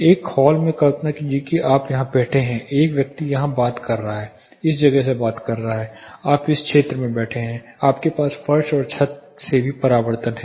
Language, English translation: Hindi, Imagine in a hall you are sitting here the person is talking here talking from this place you are seated in this area, you also have the reflection from floor ceiling more clear picture of it